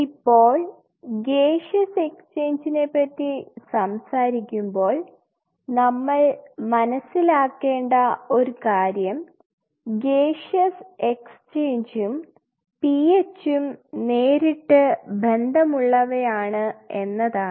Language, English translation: Malayalam, Now when we talk about the Gaseous Exchange you have to understand the gaseous exchange is directly linked to PH